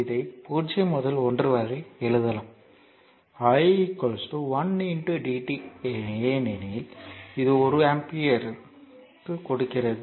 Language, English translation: Tamil, So, this can be written as 0 to 1, i is equal to your 1 into dt because this is giving one ampere